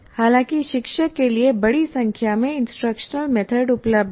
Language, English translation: Hindi, However, you have a large number of instruction methods is available to the teacher